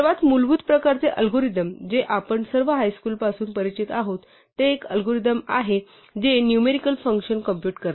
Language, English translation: Marathi, The most basic kind of algorithm that all of us are familiar with from high school is an algorithm that computes numerical functions